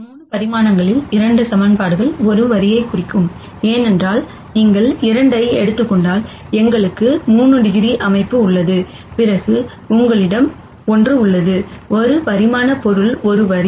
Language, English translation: Tamil, And in 3 dimen sions 2 equations would represent a line, because we have 3 degrees of freedom if you take away 2, then you have one, a one dimensional object is a line